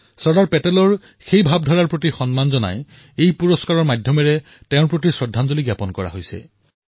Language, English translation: Assamese, It is our way of paying homage to Sardar Patel's aspirations through this award for National Integration